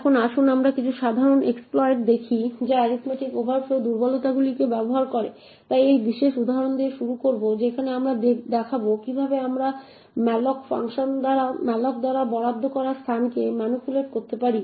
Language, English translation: Bengali, Now let us look at some simple exploits which make use of the arithmetic overflow vulnerabilities, so will start with this particular example where we will show how we could manipulate the space allocated by malloc